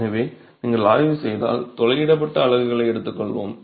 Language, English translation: Tamil, So, if you were to examine, let's take the perforated units